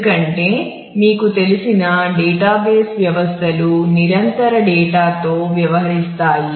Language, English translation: Telugu, Because, database systems as you know are dealing with persistent data